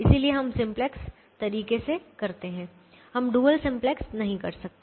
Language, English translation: Hindi, we cannot do the dual simplex way